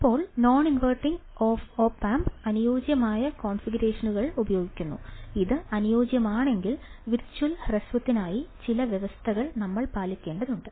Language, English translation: Malayalam, Now, the non inverting op amp is using ideal configurations, if it is ideal, then we have equal conditions to apply for virtual short